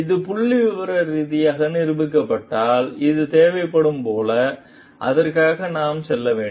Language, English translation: Tamil, And if it is statistically proven, like this is required, we should be going for it